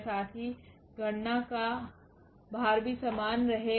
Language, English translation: Hindi, Also the computational load will remain the same